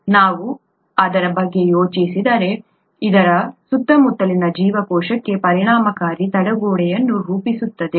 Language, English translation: Kannada, If we think about it, this forms an effective barrier to the cell from its surroundings